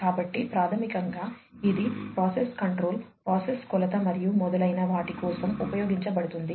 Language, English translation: Telugu, So, basically it is used for process control, process measurement and so on